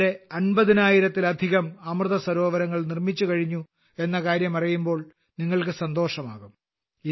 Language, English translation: Malayalam, You will be pleased to know that till now more than 50 thousand Amrit Sarovars have been constructed